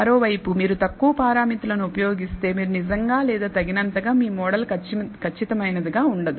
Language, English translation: Telugu, On the other hand, if you use less parameters, you actually or not sufficiently your model is not going to be that accurate